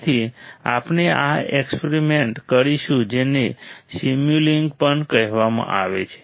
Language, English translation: Gujarati, So, we will do this experiment also is called Simulink